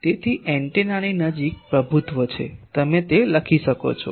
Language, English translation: Gujarati, So, dominates near antenna you can write that